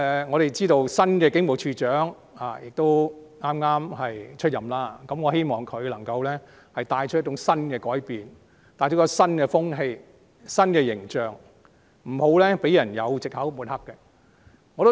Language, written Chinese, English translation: Cantonese, 我知道新任警務處處長剛上任，希望他能夠帶來新改變、新風氣和新形象，不要讓人有藉口抹黑警隊。, I know that the new Commissioner for Police has just assumed office . I hope he will bring about new changes a new culture and a new image so that people will no longer have any excuse to smear the Police Force